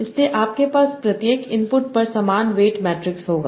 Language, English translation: Hindi, So you are having two different weight matrices